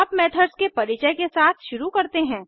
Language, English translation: Hindi, Let us now start with an introduction to methods